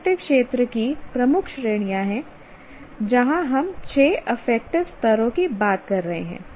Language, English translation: Hindi, And affective domain has major categories where we are talking of six affective levels